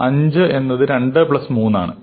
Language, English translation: Malayalam, 5 is 2 plus 3 and so on